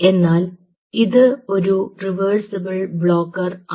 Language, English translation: Malayalam, its a, by the way, its a reversible blocker